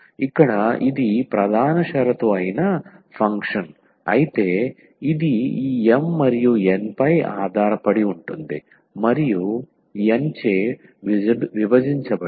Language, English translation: Telugu, So, here if this is a function that is the main condition because it depends on this M and N and the divided by N